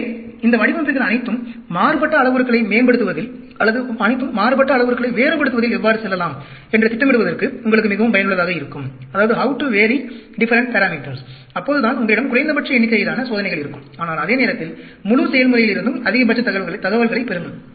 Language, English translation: Tamil, So, all these designs are very useful for you, to sort of plan how to go about varying different parameters, so that, you have minimum number of experiments, but at the same time, get maximum information out of the entire process